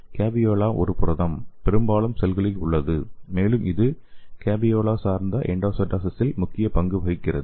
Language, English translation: Tamil, So here the caveolae is a protein, exist in most of the cells, and it play a major role in this caveolae dependent endocytosis